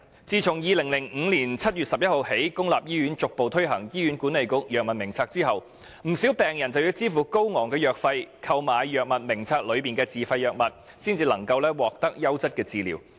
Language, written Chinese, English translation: Cantonese, 自2005年7月11日起，公立醫院逐步推行《醫院管理局藥物名冊》後，不少病人便要支付高昂費用，購買《藥物名冊》內的自費藥物，然後才能獲得優質治療。, Since the gradual introduction of the Hospital Authority Drug Formulary in public hospitals starting from 11 July 2005 many patients have to pay a high price for purchasing self - financed drugs listed on the Formulary in order to obtain quality treatment